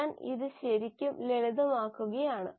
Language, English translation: Malayalam, I am really simplifying this